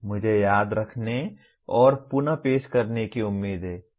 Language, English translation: Hindi, I am expected to Remember and reproduce